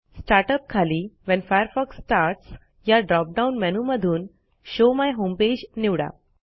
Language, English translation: Marathi, Under Start up, in the When Firefox starts drop down menu, select Show my home page